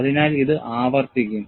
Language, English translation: Malayalam, So, this will repeat